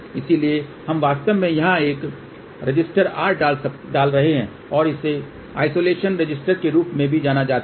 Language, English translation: Hindi, So, we are actually put over here a resister R and that is also known as isolation resistance ok